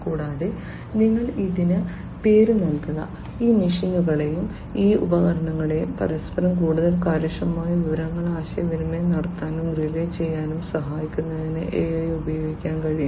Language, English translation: Malayalam, And, you name it and it is possible to use AI in order to help these machines and these equipments communicate and relay information with one another much more efficiently